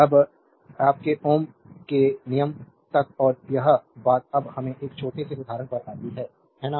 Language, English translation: Hindi, Now, up to this your Ohm’s law and this thing let us come now to a small example, right